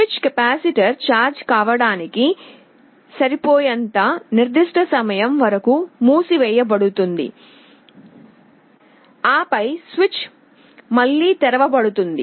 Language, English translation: Telugu, The switch will remain closed for certain time, enough for the capacitor to get charged, then the switch is again opened